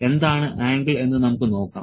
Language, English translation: Malayalam, Let us see what is the angle